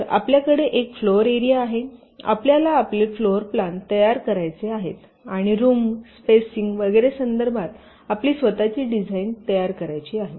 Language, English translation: Marathi, you want to create your floorplan and you want to create your own design with respects to the rooms, spacing and so on